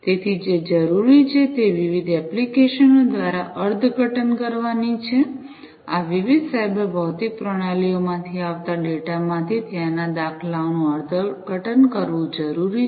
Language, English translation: Gujarati, So, what is required is to interpret through different applications, it is required to interpret the patterns that are there, out of the data that are coming from these different cyber physical systems